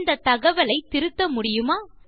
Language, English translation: Tamil, Can we edit this information